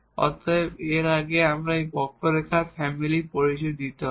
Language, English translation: Bengali, So, before that we need to introduce this family of curves